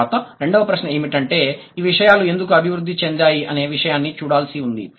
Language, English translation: Telugu, And then the second question is, why did these things evolve the way they did